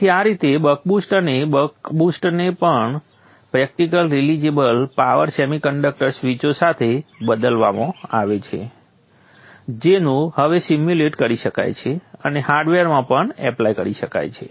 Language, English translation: Gujarati, So in this way the buck, the boost and the buck boost are now replaced with practical realizable power semiconductor switches which can now be simulated and even implemented in hardware